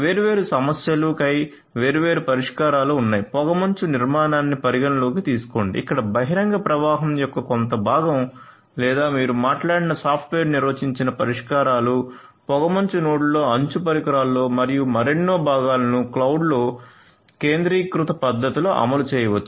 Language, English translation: Telugu, So, there are different issues different solutions for example, consideration of fog architecture where some part of the of the open flow or the software defined solutions that you talked about can be implemented in the fog nodes, in the edge devices and so on and the other parts can be implemented in the centralized manner in the cloud and so on